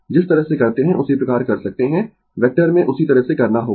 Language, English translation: Hindi, The way we do same way we can do, right in vector same way we have to done